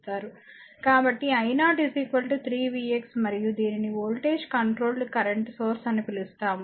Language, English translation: Telugu, So, i 0 is equal to 3 v x and this is your what you call voltage controlled current source